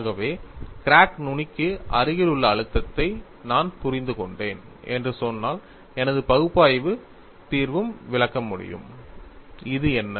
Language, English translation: Tamil, So, if I say that I have understood the stress field in the vicinity of the crack tip, my analytical solution should also explain, what is this